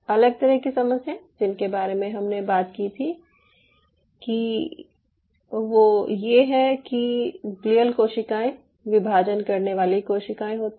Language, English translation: Hindi, the different set of problems is these glial cells are, i told you in the previously, these are dividing cells